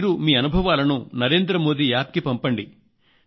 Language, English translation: Telugu, This time you can send your experiences on Narendra Modi App